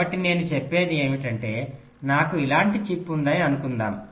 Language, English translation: Telugu, so what i mean to say is that suppose i have a chip like this, so i have a clock pin out here